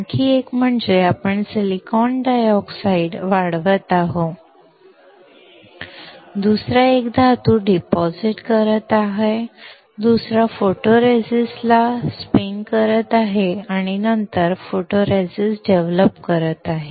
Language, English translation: Marathi, Another one is, we are growing silicon dioxide, another one is depositing metal, another one is spin coating the photoresist and then developing the photoresist